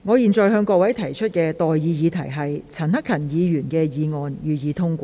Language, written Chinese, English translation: Cantonese, 我現在向各位提出的待議議題是：陳克勤議員動議的議案，予以通過。, I now propose the question to you and that is That the motion moved by Mr CHAN Hak - kan be passed